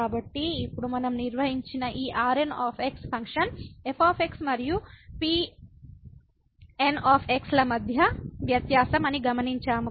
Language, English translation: Telugu, So, now we note that these which we have define that was the difference between the function and